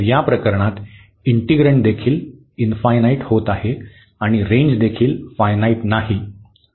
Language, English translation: Marathi, So, in this case the integrand is also becoming infinity and the range is also not finite